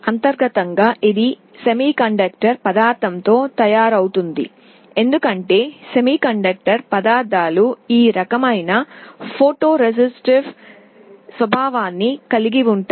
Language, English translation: Telugu, Internally it is made out of some semiconductor material, because semiconductor materials have this kind of photo resistive property